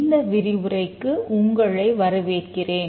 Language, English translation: Tamil, Welcome to this lecture this lecture